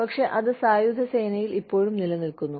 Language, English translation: Malayalam, But, it still exists in the armed forces